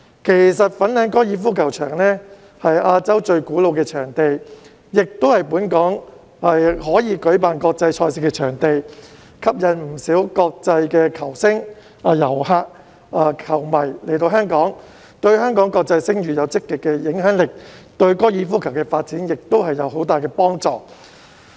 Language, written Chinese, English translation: Cantonese, 其實，粉嶺高爾夫球場是亞洲最古老的場地，亦是本港可以舉辦國際賽事的場地，吸引不少國際球星、遊客、球迷來香港，對香港國際聲譽有積極的影響力，對高爾夫球的發展亦有很大幫助。, In fact the Fanling Golf Course as the oldest venue in Asia is also a venue for international events in Hong Kong attracting many international stars tourists and fans to Hong Kong . It has a positive impact on Hong Kongs international reputation and is also very conducive to the development of golf